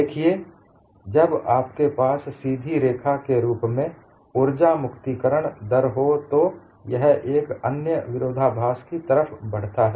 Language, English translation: Hindi, When you have the energy release rate as a straight line, it leads to another contradiction